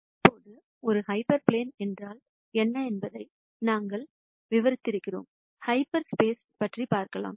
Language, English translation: Tamil, Now that we have described what a hyper plane is, let me move on to the concept of half space to explain the concept of half space